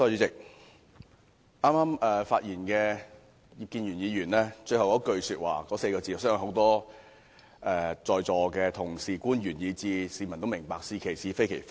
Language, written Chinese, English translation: Cantonese, 主席，剛才發言的葉建源議員在其演辭末段所說的話，我相信在座多位同事、官員以至市民皆明白，便是"是其是，非其非"。, President I believe the many Members present here officials and even the public should understand the remark made by Mr IP Kin - yuen at the end of his speech just now―Saying what is right as right and denouncing what is wrong as wrong